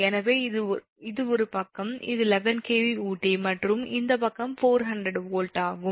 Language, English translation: Tamil, so this side is eleven kv and this side is, say, four hundred volt